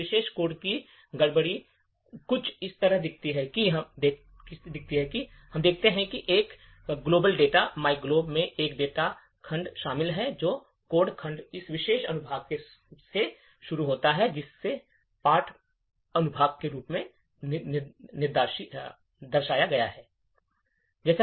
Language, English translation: Hindi, The disassembly of this particular code looks something like this, so we see that there is a data segment comprising of this global data myglob and the codes segments starts from this particular section, which is denoted as the text section